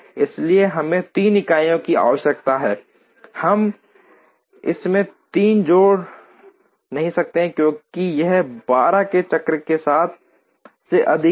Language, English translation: Hindi, So we take 3 requires 3 units, we cannot add 3 into it, because it exceeds the cycle time of 12